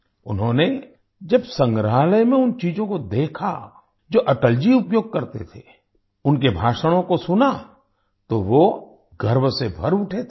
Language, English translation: Hindi, In the museum, when he saw the items that Atalji used, listened to his speeches, he was filled with pride